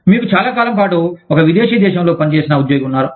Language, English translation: Telugu, You have an employee, who served in a foreign country, for a long time